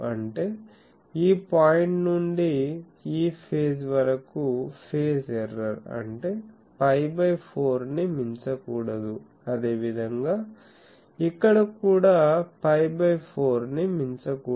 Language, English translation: Telugu, That means, phase error from this point to this point; that means, that should not exceed pi by 4, similarly here also it should not exceed pi by 4